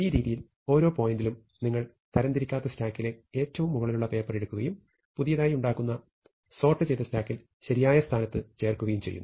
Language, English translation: Malayalam, In this way at each point you pick up the top most paper in the unsorted stack, and you inserted it into its correct position, in the sorted stack that you are building up